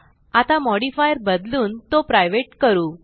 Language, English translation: Marathi, We will now change the modifier to private